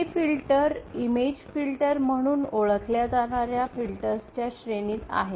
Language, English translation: Marathi, These filters belong to a class of filters known as image filters